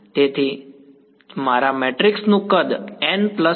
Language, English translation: Gujarati, So, that is why my matrix size was n plus m cross n plus m